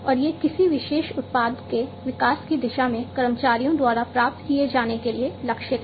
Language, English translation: Hindi, And these are targeted by the employees to be achieved, towards the development of a particular product